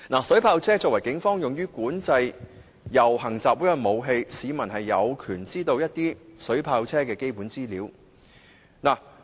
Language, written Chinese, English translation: Cantonese, 水炮車作為警方用於管制遊行集會的武器，市民有權知道水炮車的基本資料。, If the Police use water cannon vehicles as weapons to control processions and assemblies the public have the right to know the basic information of these vehicles